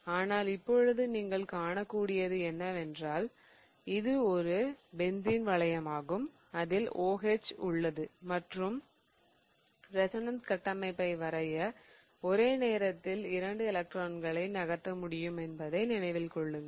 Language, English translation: Tamil, But right now what you can see is that this is a benzene ring on which there is an OH group and in order to draw the resonance structure, remember I can move two electrons at the same time